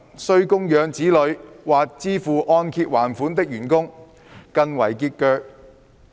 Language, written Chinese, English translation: Cantonese, 需供養子女或支付按揭還款的員工更為拮据。, Employees who need to raise children or make mortgage repayments are in greater financial straits